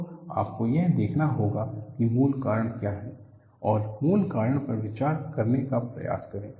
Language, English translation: Hindi, So, you have to look at what is the root cause and try to address the root cause